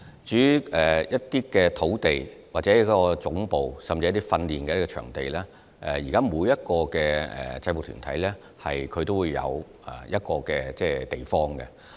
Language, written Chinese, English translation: Cantonese, 至於土地、總部，甚至訓練場地方面，其實現在每個制服團體都有場地作為會址。, As regards space provision headquarters or even training venues each UG actually has a venue that serves as its official site